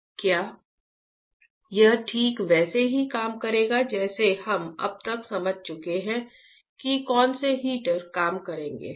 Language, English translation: Hindi, Will it work like whatever we have understood till now what the heaters will it work properly